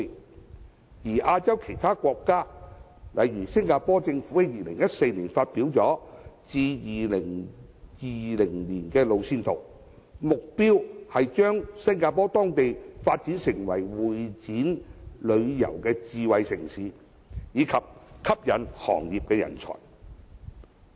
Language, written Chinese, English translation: Cantonese, 至於亞洲其他國家，例如新加坡政府在2014年發表了至2020年的路線圖，目標將當地發展成會展旅遊智慧城市，以及吸引行業人才。, As for other Asian countries the Singaporean Government published in 2014 the 2020 roadmap with the goal of developing Singapore into a smart tourism city and attracting talent for that industry